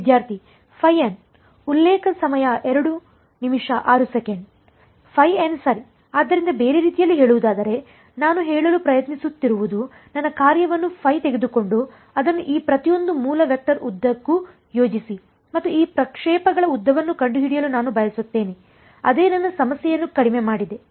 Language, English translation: Kannada, Phi m right; so, in other words what I am trying to say is that take my function phi and project it along each of these basis vectors and I want to find out the length of these projections that is what I have reduced my problem to right